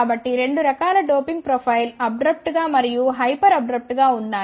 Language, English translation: Telugu, So, there are 2 types of doping profile abrupt and the hyper abrupt